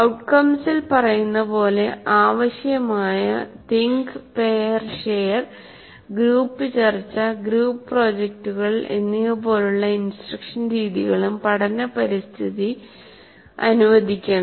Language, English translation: Malayalam, And the learning environment also should permit instructional methods like think pair, share, group discussion, group projects as required by the outcomes